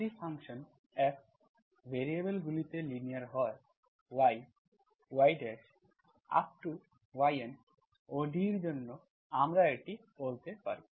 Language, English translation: Bengali, If the function F is linear, linear function in the variables, in y, y dash, YN, for ODE, for ODE we can say this